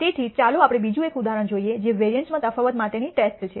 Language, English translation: Gujarati, So, let us look at another example which is a test for difference in variances